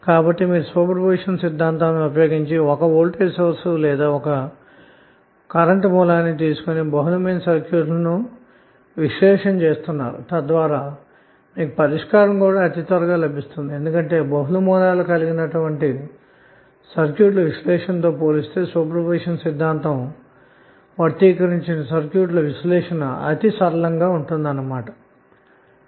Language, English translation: Telugu, So using super position theorem all though you are analyzing multiple circuits by taking 1 voltage source or 1 current source on at a time but eventually you may get the solution very early because the circuits are now simpler as compare to having the multiple sources connected and you are analyzing that circuit